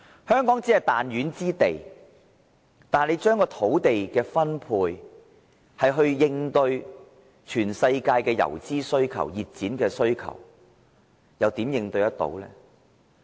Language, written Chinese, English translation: Cantonese, 香港只是彈丸之地，當局要將土地分配以應付全球的游資或熱錢需求，試問怎能應對得來呢？, Hong Kong is a small place . If the authorities are to allocate land resource to cope with the idle fund or hot money coming from all parts of the world how can it make it?